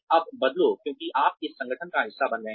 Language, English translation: Hindi, Now change, because you become a part of this organization